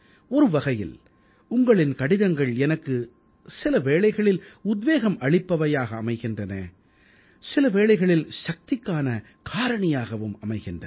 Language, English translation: Tamil, One way, a letter from you can act as a source of inspiration for me; on the other it may turn out to be a source of energy for me